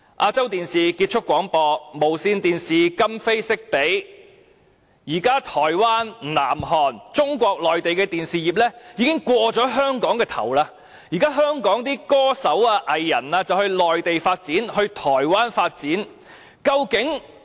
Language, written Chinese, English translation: Cantonese, 亞洲電視有限公司結業，無綫電視則今非昔比，現時台灣、南韓和中國內地的電視業已超越了香港，香港歌手和藝人要到內地、台灣發展。, While ATV has already closed down Television Broadcast Limited has also not been doing as well as before and the television industry of such places as Taiwan South Korea and Mainland China has already outperformed that of Hong Kong rendering it necessary for singers and performing artists in Hong Kong to develop their career in the Mainland and Taiwan